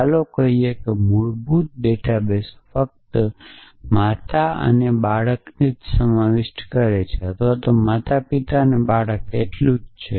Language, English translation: Gujarati, So, let say the basic database only contents a mother child or let say parent child and the gender of each person